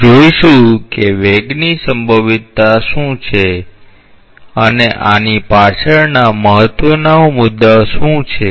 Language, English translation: Gujarati, We will see that what is the velocity potential and what are the important considerations that go behind this